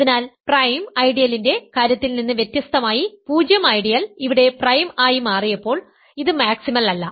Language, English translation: Malayalam, So, unlike the case of prime ideal where 0 ideal turned out to be prime here it is not maximal